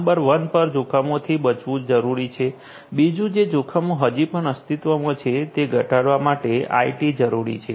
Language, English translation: Gujarati, Number 1 is it is required to avoid the risks; second is IT is required to mitigate the risks that will be you know still existing